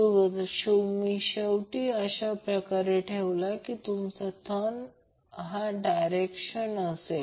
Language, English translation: Marathi, So you will see when you place end like this your thumb will be in this direction